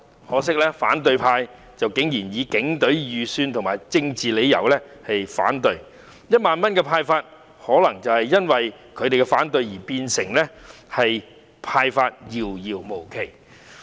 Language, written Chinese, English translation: Cantonese, 可惜，反對派竟然以警隊預算和政治因素為理由提出反對，令1萬元的派發可能因他們的反對而變得遙遙無期。, Regrettably the opposition camp raises objection for reasons of the estimated expenditure of the Police Force and political factors . Consequently the disbursing of 10,000 might be delayed indefinitely owing to their opposition